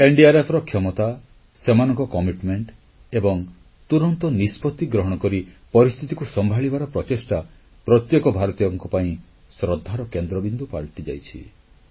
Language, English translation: Odia, The capability, commitment & controlling situation through rapid decisions of the NDRF have made them a cynosure of every Indian's eye, worthy of respect & admiration